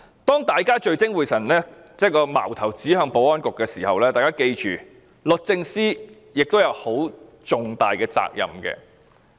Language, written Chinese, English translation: Cantonese, 當大家聚精會神把矛頭指向保安局的時候，大家記住，律政司亦要負很大責任。, While we all focus our attention on the Security Bureau one should remember that the Department of Justice has great responsibility too